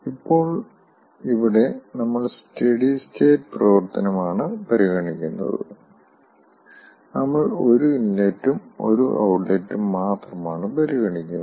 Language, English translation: Malayalam, now here, ah, we are considering steady state operation and we are considering only one, one inlet and one outlet